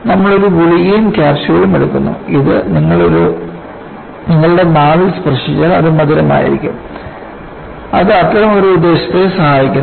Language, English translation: Malayalam, You all take a capsule, and capsule if it touches your tongue, it is sweet; it serves one such purpose